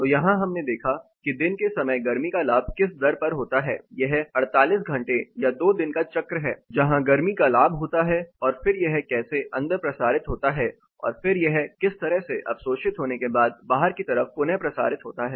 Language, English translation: Hindi, So, here we looked at what rate the heat gain happens during the day time; this is a 48 hour that is 2 day cycle, where the heat gain happens and then how it is transmitted indoor and then how it is reabsorbed and retransmitted outside